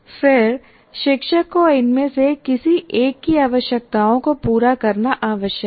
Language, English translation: Hindi, Then you are required to address the requirements of one of these